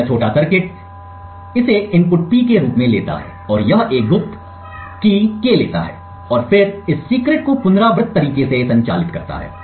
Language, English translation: Hindi, So, this small circuit it takes as an input P and it takes a secret K and then operates on this secret in an iterative manner